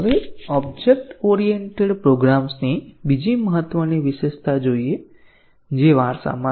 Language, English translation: Gujarati, Now, let us look at another important feature of object oriented programs which is inheritance